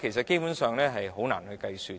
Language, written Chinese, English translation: Cantonese, 基本上是難以計算的。, Basically it is hard to do any computation